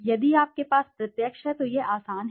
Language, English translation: Hindi, If you have a direct it is easy